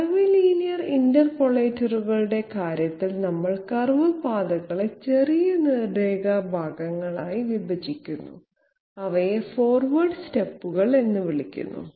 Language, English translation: Malayalam, In case of curvilinear interpolators, we break up curve paths into shot straight line segments and these are called the forward steps